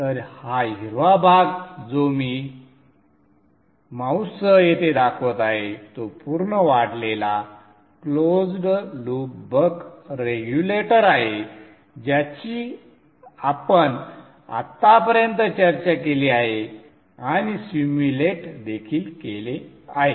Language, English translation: Marathi, So this portion, this green portion which I am showing here with the mouse is a full fledged closed loop buck regulator that we discussed till now and even simulated